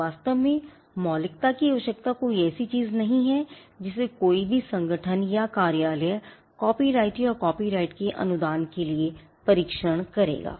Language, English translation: Hindi, In fact, the originality requirement is not something which a any organisation or office would even test for a copyright for the grant of a copyright